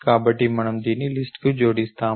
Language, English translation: Telugu, So, we append this to the list